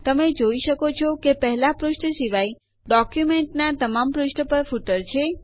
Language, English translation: Gujarati, You see that there is footer on all the pages of the document except the first page